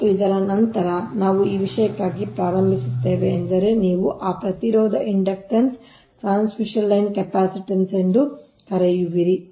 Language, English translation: Kannada, start for this thing is that that your what you call that ah, resistance, inductance, capacitance of the transmission line